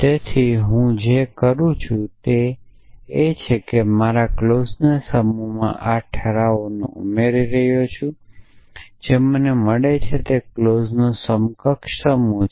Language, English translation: Gujarati, So, what I am saying is there I keep adding this resolvents to my set of clauses and what I get is an equivalent set of clause